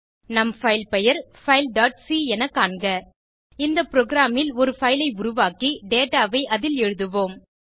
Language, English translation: Tamil, Note that our filename is file.c In this program we will create a file and write data into it